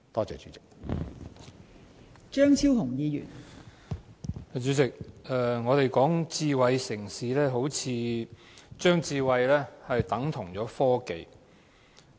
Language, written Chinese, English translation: Cantonese, 代理主席，我們討論智慧城市，好像把智慧等同科技。, Deputy President when we talk about smart city we seem to equate it with technology